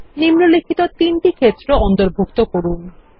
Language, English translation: Bengali, Include the following three fields